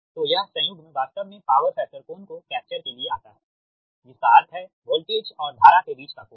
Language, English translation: Hindi, this conjugate actually to capture the power factor is to capture the angle between voltage and current, that is the power factor angle